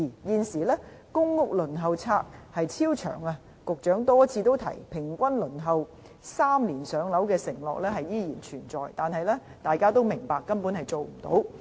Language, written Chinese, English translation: Cantonese, 現時公屋輪候冊超長，雖然局長多次提到"平均3年上樓"的承諾依然存在，但大家都明白根本做不到。, At present the Waiting List for PRH is extremely long . Although the Secretary has maintained time and again that the pledge of three - year waiting time on average for PRH allocation still exists we all know that it cannot be achieved practically